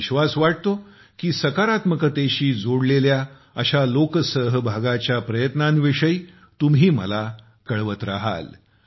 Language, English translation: Marathi, I am of the firm belief that you will keep sharing such efforts of public participation related to positivity with me